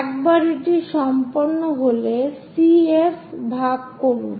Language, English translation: Bengali, Once it is done, divide CF